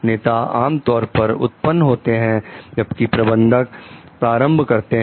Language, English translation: Hindi, Leaders generally originate; managers imitate